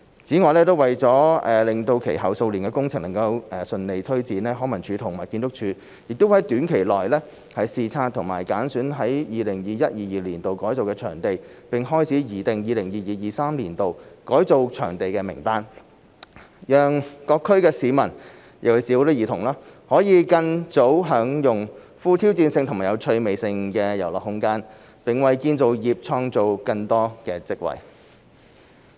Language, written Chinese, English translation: Cantonese, 此外，為了使其後數年的工程能順利推展，康文署及建築署會在短期內視察已揀選於 2021-2022 年度改造的場地，並開始擬定 2022-2023 年度改造場地的名單，讓各區市民，尤其是兒童，可更早享用富挑戰性及有趣味性的遊樂空間，並為建造業創造更多職位。, In addition in order to facilitate the smooth implementation of projects in the coming years LCSD and the Architectural Services Department will in the short term inspect sites selected to be transformed in 2021 - 2022 and begin to prepare a list of sites to be transformed in 2022 - 2023 so as to let people particularly children in various districts enjoy the more challenging and fun play spaces sooner and to create more job opportunities for the construction industry